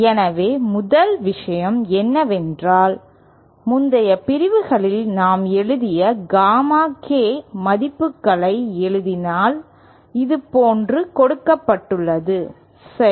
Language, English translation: Tamil, So first thing is if we write Gamma K values that we have been writing in the previous sections as given like this, ok